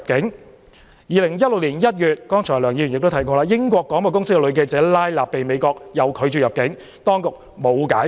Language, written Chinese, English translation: Cantonese, 在2016年1月，梁議員剛才也提到，英國廣播公司女記者拉納被美國拒絕入境，當局沒有解釋。, As indicated by Dr LEUNG just now in January 2016 BBC female journalist Rana RAHIMPOUR was denied entry by the United States and the authorities offered no explanation